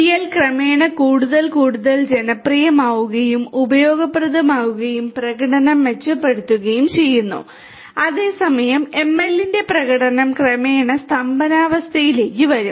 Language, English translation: Malayalam, DL gradually becomes more and more popular and useful the performance improves whereas, you know ML the performance of ML will gradually come to a stagnation